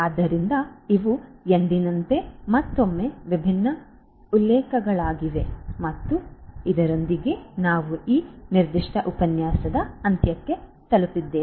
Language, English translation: Kannada, So, these are these different references once again as usual and with this we come to an end of this particular lecture as well